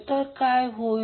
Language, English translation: Marathi, What will happen